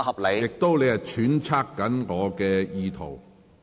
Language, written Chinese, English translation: Cantonese, 你亦在揣測我的意圖。, You are also speculating my intentions